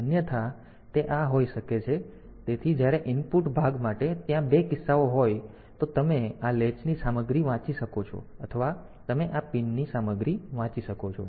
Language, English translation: Gujarati, Then otherwise, we can have; so when for the input part; so there can be two cases; one is you can read the content of this latch or you can read the content of this pin